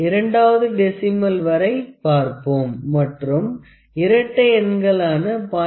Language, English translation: Tamil, Let us see up to the second place of decimal and only the even numbers that is 0